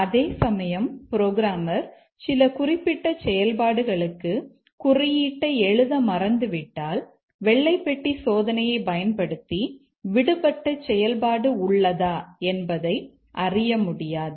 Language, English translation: Tamil, If the programmer has forgotten to write the code for some program logic, we cannot detect that using only white box testing because the code itself is absent